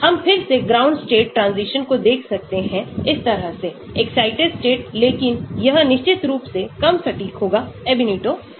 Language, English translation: Hindi, We can look at again ground state transition like this, excited states but of course this will be less accurate unlike the Ab initio